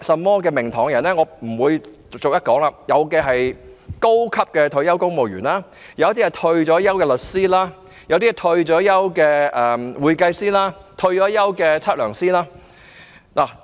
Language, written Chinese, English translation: Cantonese, 我不會在此逐一說出，但當中包括高級退休公務員、退休律師、退休會計師和退休測量師等。, I am not going to name them one by one but among them there are retired senior civil servants retired lawyers retired accountants and retired surveyors